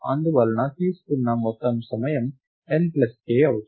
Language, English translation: Telugu, And therefore, the total time taken is order of n plus k